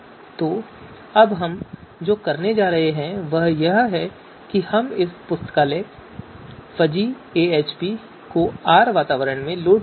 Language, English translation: Hindi, So therefore what we are going to do now is we’ll load this library fuzzy AHP in R environment